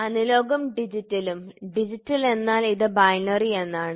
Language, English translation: Malayalam, Analog and digital, Digital means it is binary